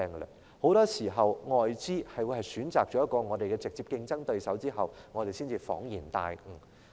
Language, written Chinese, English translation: Cantonese, 而很多時候，當外資選擇了我們的直接競爭對手後，我們才恍然大悟。, Often it dawns on us only afterwards that foreign funds have chosen our direct competitors